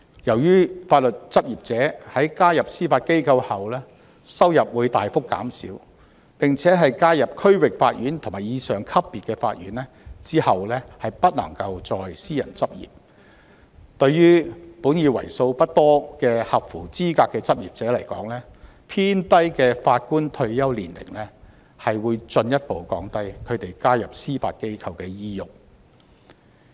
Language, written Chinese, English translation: Cantonese, 由於法律執業者在加入司法機構後收入會大幅減少，而在加入區域法院或以上級別法院後不能再私人執業，對於本已為數不多的合資格執業者而言，偏低的法官退休年齡會進一步降低他們加入司法機構的意欲。, Given that legal practitioners will experience a significant decline in earnings after joining the Judiciary and be prohibited from returning to private practice after joining the Bench at the District Court level and above the relatively low retirement ages for Judges will mean a further disincentive for the already limited pool of eligible practitioners to join the Judiciary